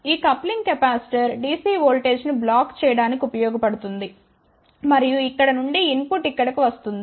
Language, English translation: Telugu, This coupling capacitor is provided to block the dc voltage and then from here input comes over here